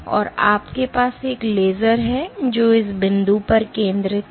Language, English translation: Hindi, So, you have a laser which focuses at this point